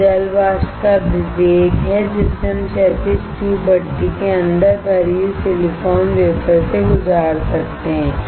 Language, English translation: Hindi, This is the velocity of the water vapor that we can pass through the silicon wafers loaded inside the horizontal tube furnace